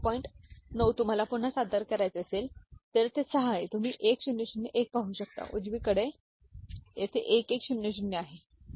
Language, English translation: Marathi, 9 if you want to represent again 6 is here you can see 1001, right and 9 here is 1100, ok